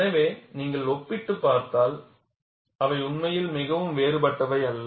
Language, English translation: Tamil, So, if you compare, they are not really very different